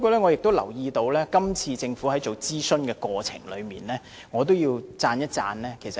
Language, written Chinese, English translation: Cantonese, 我留意到今次政府的諮詢工作做得不錯，我要稱讚一下政府。, I have noticed that the Government has done well in its consultation work this time and I commend the Government for it